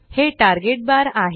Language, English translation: Marathi, This is the Target bar